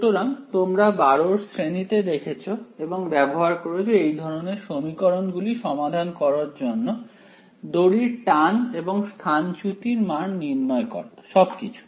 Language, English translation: Bengali, So, back from you know class 12 you used to solve this kind of equations the tension on the string and calculate the displacement all of those things